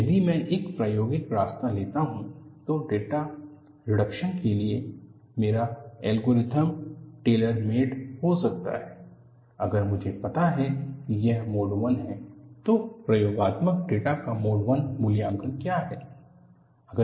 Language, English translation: Hindi, If I take an experimental root, my algorithm for data reduction could be tailor made, if I know if it is mode 1, what is the mode 1 evaluation of experimental data